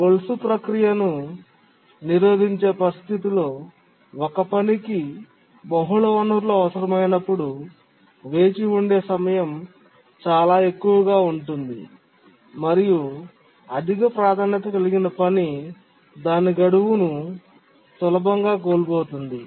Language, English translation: Telugu, And in the chain blocking situation when a task needs multiple resources, the waiting time altogether can be very high and a high priority task can easily miss the deadline